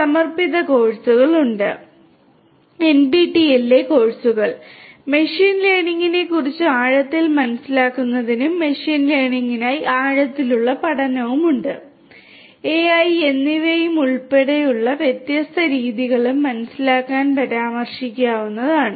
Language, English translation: Malayalam, There are dedicated courses; courses in NPTEL which could be referred to for getting in depth understanding of machine learning and the different methodologies for machine learning including deep learning, AI and so on